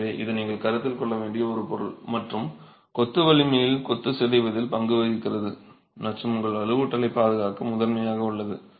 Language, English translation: Tamil, So, this is a material that you must consider and has a role to play in the strength of the masonry, in the deformability of the masonry and is primarily there to protect your reinforcement